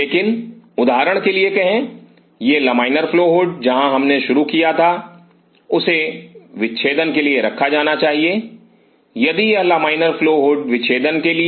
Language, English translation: Hindi, But say for example, this laminar flow hood where we started has to be kept for dissection, if this laminar flow hood for the dissection